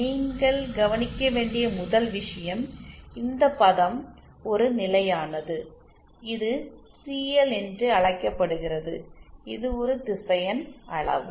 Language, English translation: Tamil, First thing that you have to notice is this term is a constant let us say called CL this is a vector quantity